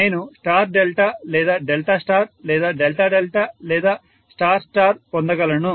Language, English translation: Telugu, I would be able to get star delta or Delta star or Delta Delta or star star